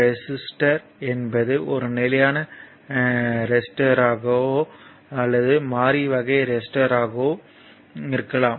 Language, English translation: Tamil, So, a resistor is either a it may be either a fixed resistor or a variable type, right